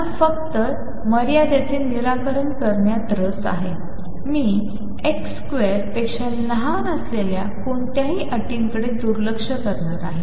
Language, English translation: Marathi, Since we are only interested in the solution which is true in this limit, I am going to ignore any terms that are smaller than x square